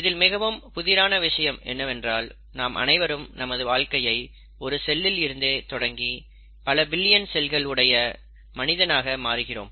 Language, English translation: Tamil, Now, what is intriguing is to note that we all start our life as a single cell, but we end up becoming a whole individual with more than billions of cells in our body